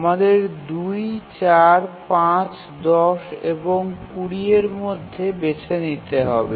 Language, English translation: Bengali, So now we have to choose between 2, 4, 5, 10 and 20